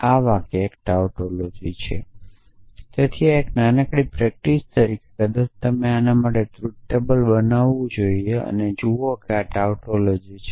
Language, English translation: Gujarati, So, this sentence is a tautology, so as a small exercise, maybe you should just construct the truth table for this and see that this is tautology